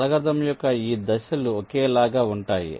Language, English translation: Telugu, this steps of the algorithm are similar